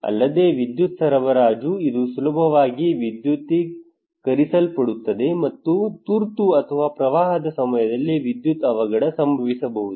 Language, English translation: Kannada, Also the electricity supply; it can easily electrified, and current can kill people during emergency or flood inundations